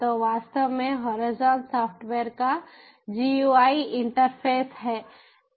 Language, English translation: Hindi, so, actually, horizon is the gui interface of the software